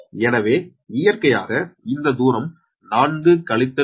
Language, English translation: Tamil, so naturally this distance will be four minus point six